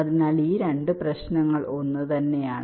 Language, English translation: Malayalam, so these two problems are the same